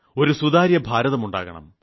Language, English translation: Malayalam, We have to make a transparent India